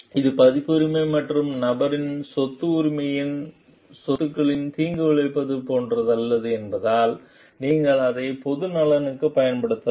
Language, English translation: Tamil, And because it is not like harming the copyright and the property of the property right of the person and you can use it for public interest also